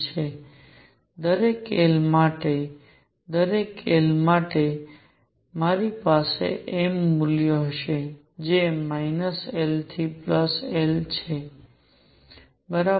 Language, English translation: Gujarati, And for each l for each l, I will have m values which are from minus l to l right